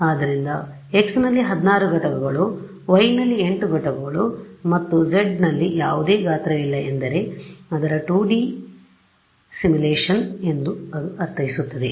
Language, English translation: Kannada, So, 16 units in x, 8 units in y and no size in z means its 2D simulation that is all that it means